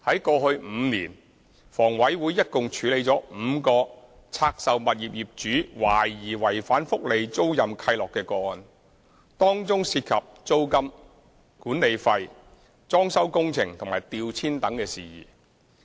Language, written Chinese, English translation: Cantonese, 過去5年，房委會一共處理了5個拆售物業業主懷疑違反福利租賃契諾的個案，當中涉及租金、管理費、裝修工程和調遷等事宜。, In the past five years HA has handled alleged breaches of the welfare - letting covenants by owners of five divested properties involving matters such as rent management fee renovation work and relocation etc